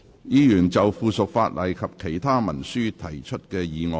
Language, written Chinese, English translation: Cantonese, 議員就附屬法例及其他文書提出的議案。, Members motion on subsidiary legislation and other instruments